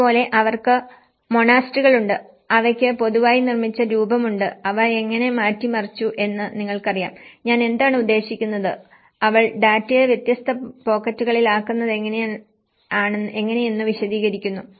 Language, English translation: Malayalam, And similarly, they have the monasteries, they have the built form in general and how they have changed you know, what I mean, this is a kind of framework how she put the data in different pockets of explanation